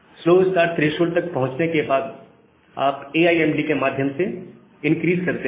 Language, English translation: Hindi, After you have reached slow start threshold, you increase through AIMD